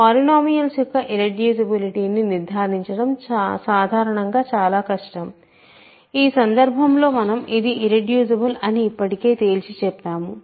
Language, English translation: Telugu, It may be very difficult in general to conclude irreducibility of polynomials, in this case we have already just immediately concluded that it is irreducible